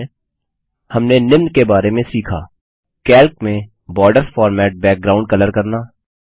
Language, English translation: Hindi, To summarize, we learned about: Formatting Borders, background colors in Calc